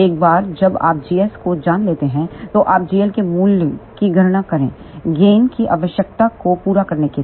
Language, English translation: Hindi, Once you know the g s then you calculate the value of g l to meet the gain requirement